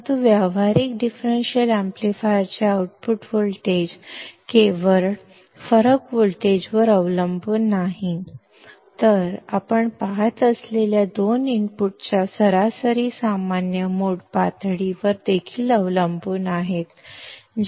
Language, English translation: Marathi, But the output voltage of the practical differential amplifier not only depends on a difference voltage, but also depends on the average common mode level of two inputs you see